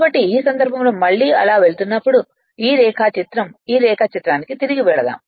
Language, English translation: Telugu, So, this diagram I am going back to this diagram